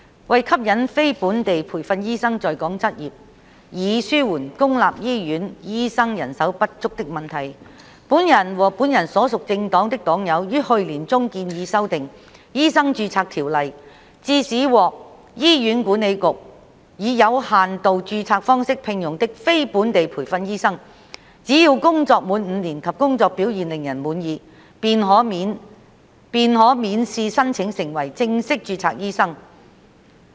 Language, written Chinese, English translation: Cantonese, 為吸引非本地培訓醫生在港執業，以紓緩公立醫院醫生人手不足的問題，本人和本人所屬政黨的黨友於去年中建議修訂《醫生註冊條例》，致使獲醫院管理局以有限度註冊方式聘用的非本地培訓醫生，只要工作滿5年及工作表現令人滿意，便可免試申請成為正式註冊醫生。, To attract non - locally trained doctors to practise in Hong Kong so as to alleviate the manpower shortage of doctors in public hospitals I and fellow members of the party to which I belong proposed in the middle of last year to amend the Medical Registration Ordinance to the effect that non - locally trained doctors who had been in employment with the Hospital Authority HA under limited registration for not less than five years and with satisfactory work performance would be qualified to apply for full registration as a registered doctor without having to go through the required examination